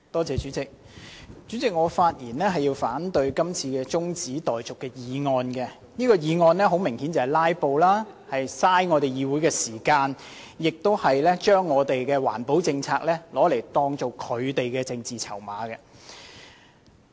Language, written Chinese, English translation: Cantonese, 主席，我發言反對這項中止待續議案，議案的目的明顯是要"拉布"，浪費議會時間，把環保政策當作他們的政治籌碼。, President I speak in opposition to the adjournment motion whose obvious purpose is filibustering and wasting this Councils time turning environmental protection policies into chips for political bargaining